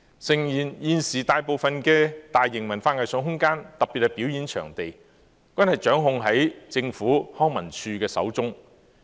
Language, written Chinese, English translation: Cantonese, 誠然，現時大部分大型文化藝術空間，特別是表演場地，均掌控在政府康樂及文化事務署手中。, Admittedly most of the major arts and cultural spaces particularly performance venues are controlled in the hands of the Leisure and Cultural Services Department